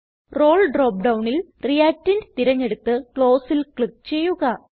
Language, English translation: Malayalam, In the Role drop down, select Reactant and click on Close